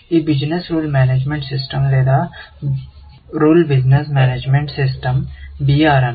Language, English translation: Telugu, You know this Rule Business Management System or Business Rule Management System; BRMS